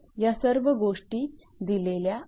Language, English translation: Marathi, So, all that data are given